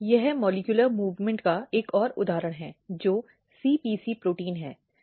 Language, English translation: Hindi, This is one another example of molecular movement which is CPC protein